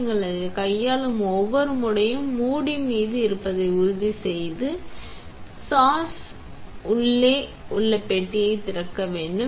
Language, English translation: Tamil, Every time you handle it, make sure that the lid is on and have the open the box inside the sash